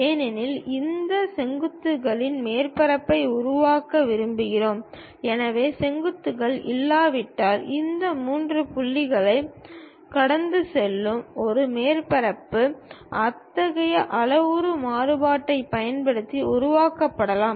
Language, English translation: Tamil, Because, we want to construct surface from these vertices; so, once vertices are not, a surface which pass through these three points can be constructed using such kind of parametric variation